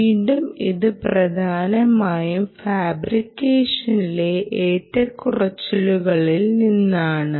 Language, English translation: Malayalam, ok, again, this largely comes from fluctuations, fluctuations in fabrication